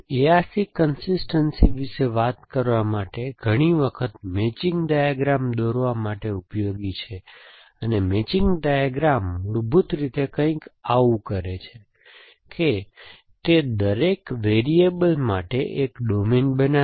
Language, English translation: Gujarati, So, to talk about A R C consistence is often useful to draw, what we call is a matching diagram, and the matching diagram basically does something like this, that it creates a domain for each variable